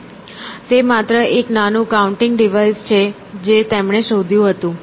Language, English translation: Gujarati, So, it is just a small counting device that he invented